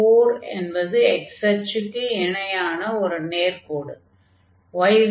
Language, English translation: Tamil, So, this is the line here and then we have the x axis